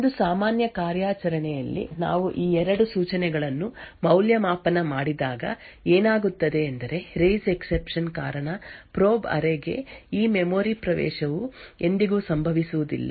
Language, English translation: Kannada, If we evaluate these two instructions in a normal operation what would happen is that due to the raise exception this memory access to the probe array would never occur